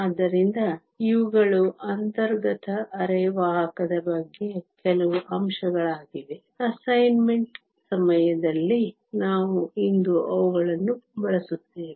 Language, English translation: Kannada, So, these are just a few points about intrinsic semiconductor; we will be using them today during the course of the assignment